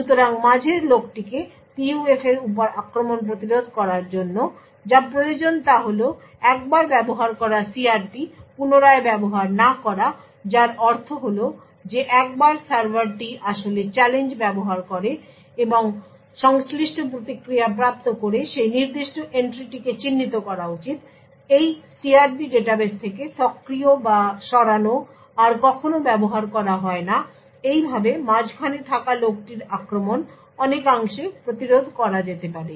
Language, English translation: Bengali, So in order to prevent this man in the middle attacks on PUFs, what is required is that the CRP once used should not be used again which means that once the server actually uses challenge and obtains the corresponding response that particular entry should be marked as the activated or removed from these CRP database are never used again, so this way the man in the middle attack could be prevented to a far extent